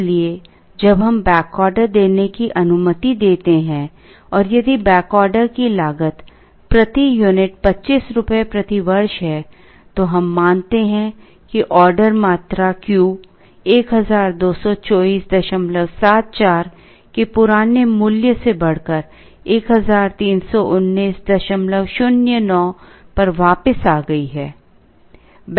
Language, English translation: Hindi, So, when we allow back ordering and if the back order cost is rupees 25 per unit per year, we observe that the order quantity Q increases from the old value of 1224